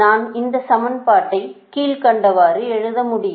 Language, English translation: Tamil, i can write this equation